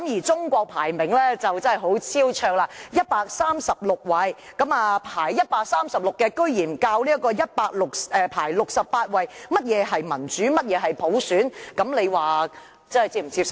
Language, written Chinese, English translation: Cantonese, 中國的排名真的很超卓，排名為136位，排名136位的國家竟然教導排名68位的城市何謂民主、何謂普選，這樣大家是否能接受呢？, China has a really remarkable ranking which is at the 136 place . It is hard to believe that a country with a ranking of 136 in the Democratic Index can teach a city ranked 68 what are democracy and universal suffrage . Do all of you find that acceptable?